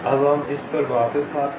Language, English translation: Hindi, ok, let us come back to this now